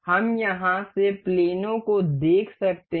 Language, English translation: Hindi, We can see planes from here